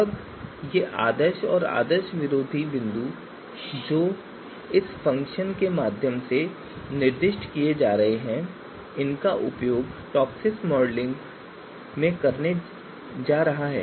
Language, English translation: Hindi, Now these ideal and anti ideal points which are being you know specified through this function through this called function they are going to be used to perform the TOPSIS modeling